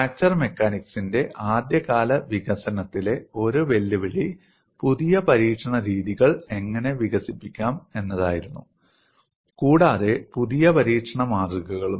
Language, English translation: Malayalam, And one of the challenges in the early development of fracture mechanics was how to develop new test methods, and also new test specimens